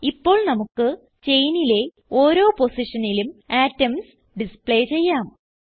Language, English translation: Malayalam, Lets now display atoms at each position on the chain